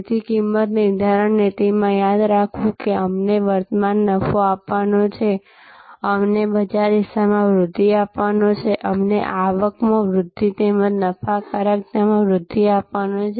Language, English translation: Gujarati, So, in pricing policy therefore to remembering that it is to give us current profit, give us growth in market share, give us revenue growth as well as profitability growth